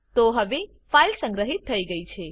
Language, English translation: Gujarati, So the file is saved now